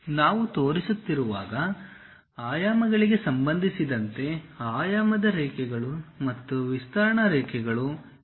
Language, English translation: Kannada, Regarding dimensions when we are showing, dimension lines and extension lines; these shall be on the same plane